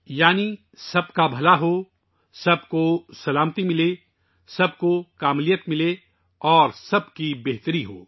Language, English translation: Urdu, That is, there should be welfare of all, peace to all, fulfillment to all and well being for all